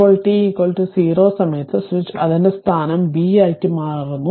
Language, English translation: Malayalam, Now, at time t is equal to 0, the switch changes its position to B